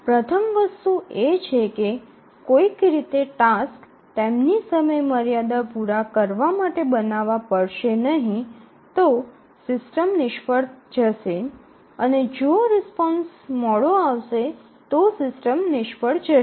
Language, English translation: Gujarati, So, the first thing is that it somehow has to make the tasks meet their deadlines otherwise the system will fail, if the response is late then the system will fail